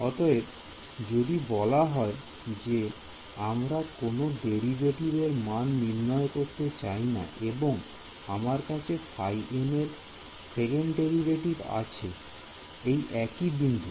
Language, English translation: Bengali, So, here let us say that I do not want to calculate any analytical derivatives and I have this you know second derivative of phi evaluated at one point